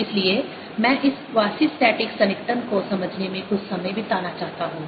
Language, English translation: Hindi, so i want to spend some time in understanding this quasistatic approximation